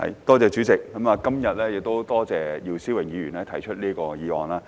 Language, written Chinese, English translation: Cantonese, 代理主席，我今天感謝姚思榮議員提出這項議案。, Deputy President I would like to thank Mr YIU Si - wing for moving this motion today